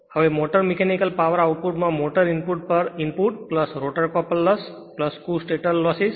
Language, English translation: Gujarati, Now input to the motor input to the motor mechanical power output plus the rotor couple loss plus the total stator loss